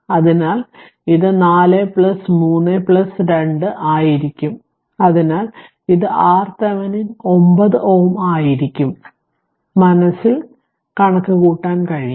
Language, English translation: Malayalam, So, it will be 4 plus 3 plus 2 so, it will be R Thevenin will be 9 ohm right from your memory you can do it